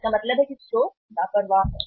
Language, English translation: Hindi, It means store is careless